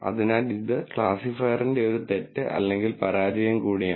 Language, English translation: Malayalam, So, this is also a mistake or a failure of the classifier